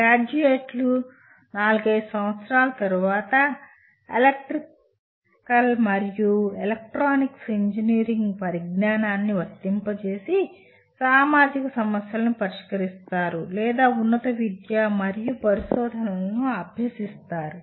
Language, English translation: Telugu, The graduates, graduates after four to five years will be solving problems of social relevance applying the knowledge of Electrical and Electronics Engineering and or pursue higher education and research